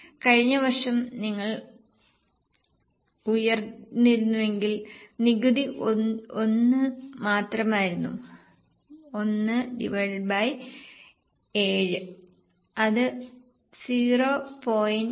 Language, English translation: Malayalam, 14 if you go up in the last year their tax was only 1 so 1 on 7 so it is 0